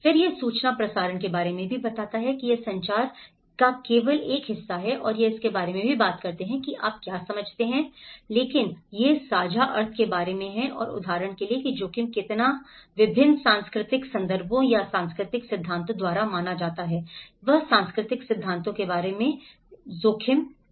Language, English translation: Hindi, Then it is also about the information transmission, is the only one part of communication and it also talks about itís not about what you understand what you understand, but itís about the shared meaning and like for example how risk is perceived by different cultural contexts or cultural theories, he brought about the cultural theory of risk